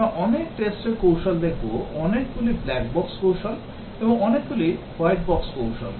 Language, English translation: Bengali, We will look at many tests strategies, many black box strategies, and white box strategies